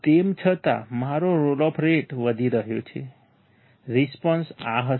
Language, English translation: Gujarati, Still my roll off rate is increasing, response will be this